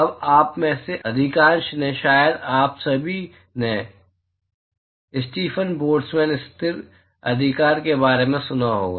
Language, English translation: Hindi, Now, most of you, probably all of you would have, heard about Stefan Boltzmann constant right